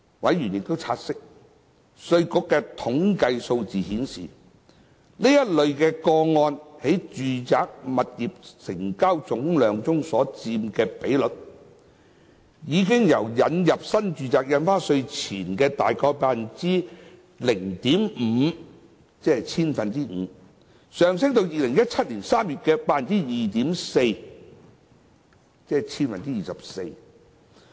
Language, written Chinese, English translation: Cantonese, 委員察悉，稅務局的統計數據顯示，該類個案在住宅物業總成交量中所佔的比率，已由引入新住宅印花稅前的約 0.5%， 上升至2017年3月的 2.4%。, Members note the IRDs statistics that the ratio of such cases to the total residential property transactions increased from around 0.5 % before the introduction of NRSD to 2.4 % in March 2017